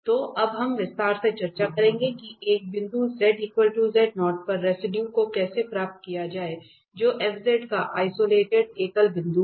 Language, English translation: Hindi, So, we will now discuss in detail that how to get the residue at a point z equal to z naught which is isolated singular point of f z